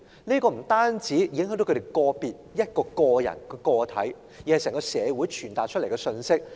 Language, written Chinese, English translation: Cantonese, 這不單影響個別人士，更向整個社會傳達極其惡劣的信息。, It will not only affect individuals but also send a profoundly negative message to society as a whole